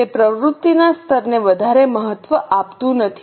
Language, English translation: Gujarati, It does not give much importance to level of activity